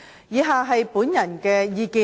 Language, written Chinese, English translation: Cantonese, 以下是我的個人意見。, The following are my personal views